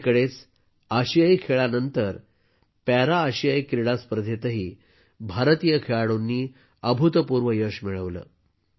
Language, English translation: Marathi, Recently, after the Asian Games, Indian Players also achieved tremendous success in the Para Asian Games